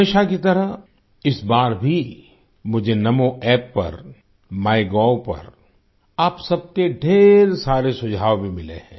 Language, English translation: Hindi, As always, this time too, I have received numerous suggestions from all of you on the Namo App and MyGov